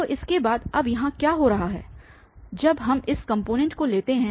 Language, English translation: Hindi, So, what is happing now here after this when we take this component